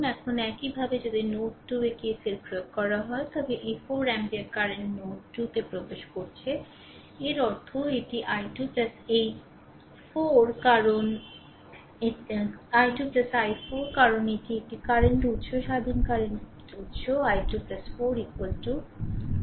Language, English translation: Bengali, Now similarly if you apply at node 2 that KCL then this 4 ampere current is entering into the node 2 right; that means, this i 2 plus this 4 because this is a current source independent current source i 2 plus 4 is equal to i 3 right